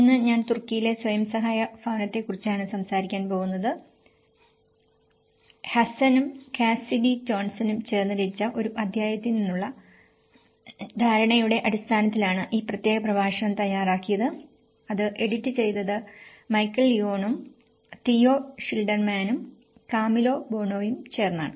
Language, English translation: Malayalam, Today, I am going to talk about self help housing in Turkey in fact, this particular lecture has been composed based on the understanding from one of the chapter which is composed by Hassan and Cassidy Johnson inbuilt back better, which was edited by Michael Leone and Theo Schilderman and Camillo Boano